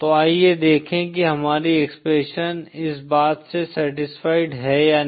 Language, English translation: Hindi, So let’s see whether our expression is satisfying this or not